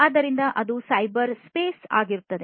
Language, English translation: Kannada, So, that becomes the cyberspace